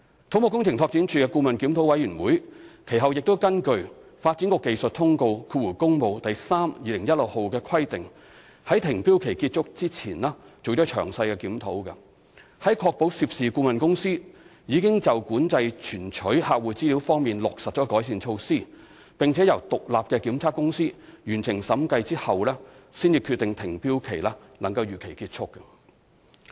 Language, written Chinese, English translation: Cantonese, 土木工程拓展署的顧問檢討委員會其後亦根據《發展局技術通告第 3/2016 號》的規定，在停標期結束前進行詳細檢討，在確保涉事顧問公司已就管制存取客戶資料方面落實改善措施，並由獨立檢測公司完成審計後，才決定停標期能夠如期結束。, Subsequently the Consultants Review Committee of CEDD also conducted detailed review before the expiry of the suspension period in accordance with the Development Bureau Technical Circular Works No . 32016 . The Committee determined the suspension period could be ended as scheduled only when it ascertained the consultant involved has implemented improvement measures for access control of clients information which was audited by an independent audit company